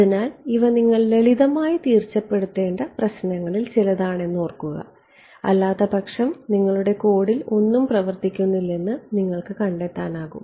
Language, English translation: Malayalam, So, these are some of the very simple implementation issue you should keep in mind otherwise you will find that nothing works in your code all right